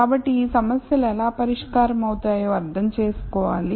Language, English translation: Telugu, So, it is important to understand how these problems are solved